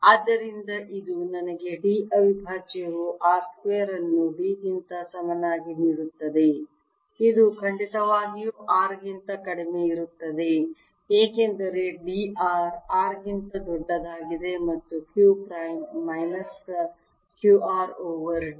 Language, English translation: Kannada, so this gives me d prime equals r square over d, which is certainly less than r because d is greater than r, and q prime equals minus q r over d